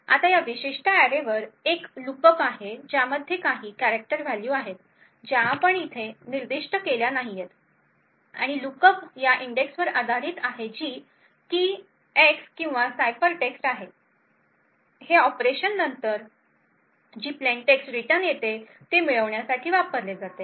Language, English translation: Marathi, Now there is a lookup on this particular array with containing some character values which we have not specified over here and the lookup is based on an index which is key X or ciphertext, this operation is used to obtain the plaintext which is then returned